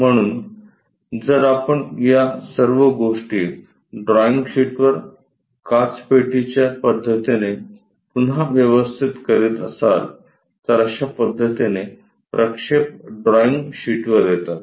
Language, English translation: Marathi, So, if we are rearranging all this thing on the drawing sheet using glass box method, projections turns out to be in this way on the drawing sheet